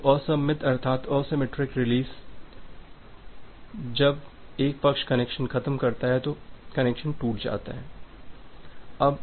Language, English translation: Hindi, So, the asymmetric release says that when one party hangs up the connection is broken